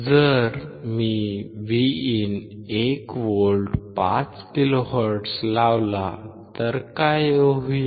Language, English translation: Marathi, So, if I apply Vin of 1 volt at 5 kilohertz, then what will happen